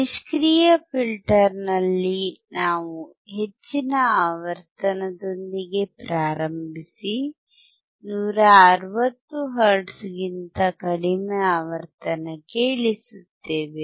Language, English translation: Kannada, In the passive filter, what we have seen, we started with the high frequency, and we reduced down to the frequency which was below 160 hertz